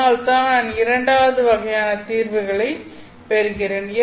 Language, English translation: Tamil, So because of that I get the solutions of the second kind